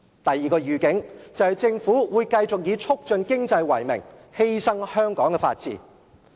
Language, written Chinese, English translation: Cantonese, 第二個預警，就是政府會繼續以促進經濟為名，犧牲香港的法治。, The second heads - up the Government will continue to sacrifice the rule of law in Hong Kong in the name of promoting economic development